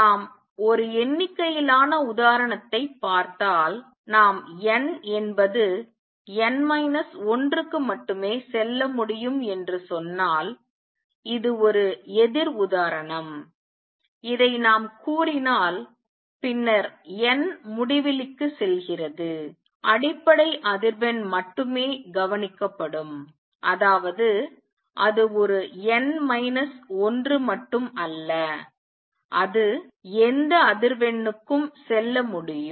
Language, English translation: Tamil, If let us see a count example, if we say that n can go to n minus one only and this is just a counter example if we say this, then as n goes to infinity only the fundamental frequency will be observed; that means, it is just not n minus one it can go to any frequency